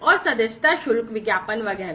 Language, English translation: Hindi, And subscription fees, advertisements, etcetera